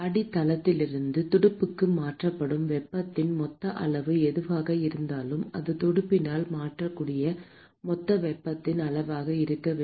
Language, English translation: Tamil, Whatever is the total amount of heat that is transferred from the base to the fin should be the total amount of heat that the fin is able to transfer